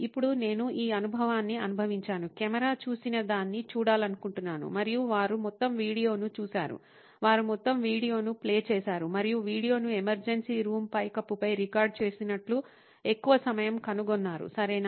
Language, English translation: Telugu, Now that I have gone through this experience, I want to see what the camera saw’ and they saw the whole video, they played the whole video and found that most of the time the video had recorded the roof of the emergency room, okay